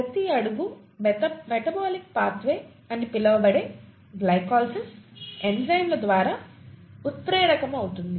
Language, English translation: Telugu, Each step is, of this so called metabolic pathway, glycolysis, is catalysed by enzymes, okay